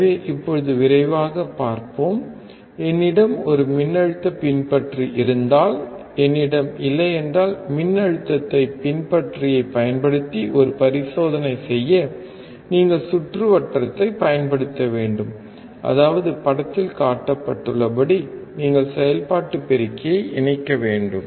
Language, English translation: Tamil, So now, let us quickly see if I have a voltage follower, and if I don’t, to do an experiment using a voltage follower, you have to just use the circuit; that means, you have to connect the operation amplifier as shown in the figure